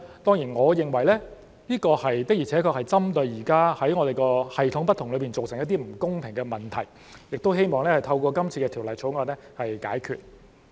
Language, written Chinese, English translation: Cantonese, 當然，我認為這的確是針對現時系統不同造成的一些不公平的問題，希望透過《條例草案》解決。, Of course I think this is indeed targeted at some unfairness caused by the different regimes which hopefully can be addressed through the Bill